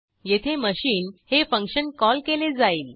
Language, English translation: Marathi, Here, function name is machine